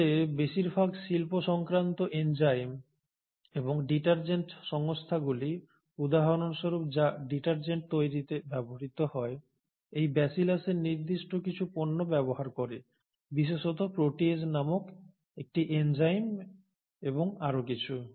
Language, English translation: Bengali, In fact most of the industrial enzymes and detergent companies for example which are used to make detergents, make use of certain products of these Bacillus, particularly a group of enzymes called proteases and a few other